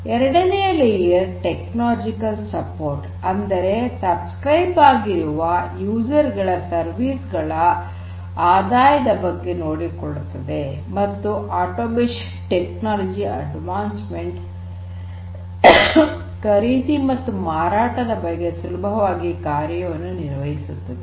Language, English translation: Kannada, The second tier offers technological support talks talking about taking care of revenue flow for the subscribed user services, automation, technological advancement, ease of buying and selling and so on